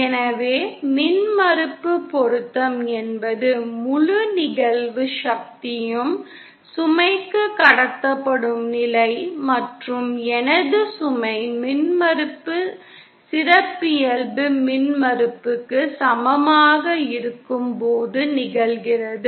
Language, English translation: Tamil, So impedance matching is that condition where the entire incident power is transmitted to the load and that happens when my load impedance is equal to the characteristic impedance